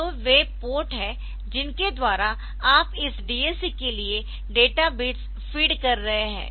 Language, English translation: Hindi, So, those themes are there by which you are feeding the data bits for this DAC and then the, we are